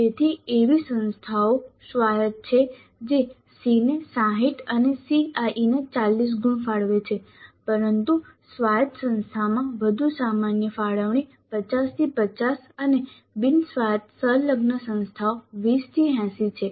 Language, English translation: Gujarati, So there are institutes autonomous which allocate 60 marks to a CE and 40 to CAE but a more common allocation in autonomous institute is 50 50 50 and non autonomous affiliated institutes is 2080